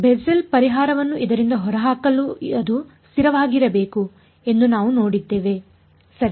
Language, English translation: Kannada, We have seen that to get Bessel’s solution out of this it should be a constant right